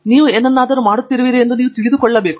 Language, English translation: Kannada, You should know why you are doing something